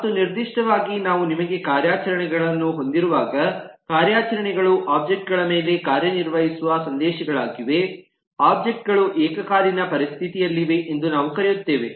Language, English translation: Kannada, and specifically we call that whenever you have operations, the operations or messages acting on objects, objects are in a concurrent situation